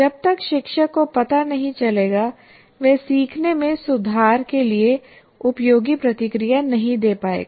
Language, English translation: Hindi, Unless the teacher is able to find out, he will not be able to give effective feedback to improve their thing